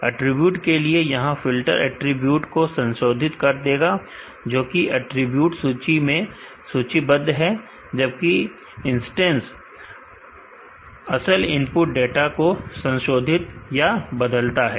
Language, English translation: Hindi, This filters for the attribute will modify the attributes, listed in the attributes will list whereas, instance will vary or modify the actual input data